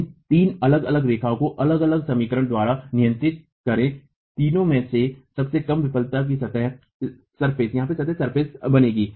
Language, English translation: Hindi, Draw these three different lines governed by different equations, the lowest of the three will form the failure surface